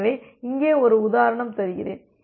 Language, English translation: Tamil, So, let me just give you one example here